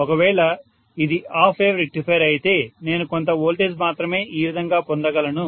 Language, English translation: Telugu, So if it is a half wave rectifier I may get only some voltage like this, right